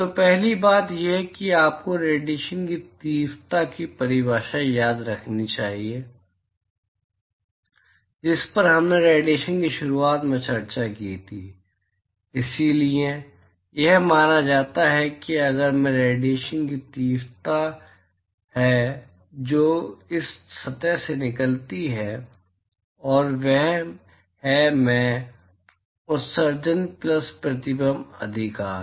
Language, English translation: Hindi, So, the first thing is, so this is you should remember the definition of the radiation intensity that we discussed at the start of radiation, so that is the supposing if I is the intensity of radiation that comes out of this surface, and that is i, emission plus reflection right